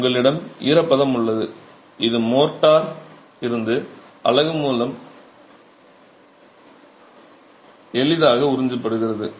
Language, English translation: Tamil, So, you have moisture that is freely absorbed by the unit from the motor